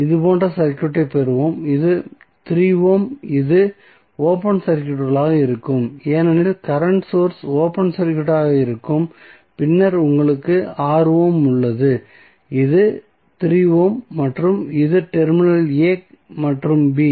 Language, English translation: Tamil, We will get the circuit like this so this is 3 ohm this would be open circuited because current source would be open circuited then you have 6 ohm, this is 3 ohm and this is the terminal a and b